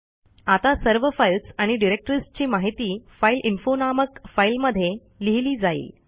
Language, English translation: Marathi, Now all the files and directories information will be directed into the file named fileinfo